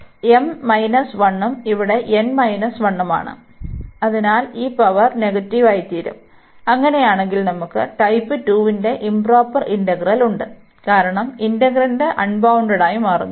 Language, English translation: Malayalam, So, here this is m minus 1 and here n minus 1; so these powers will become negative, and in that case we have the improper integral of type 2, because the integrand is becoming unbounded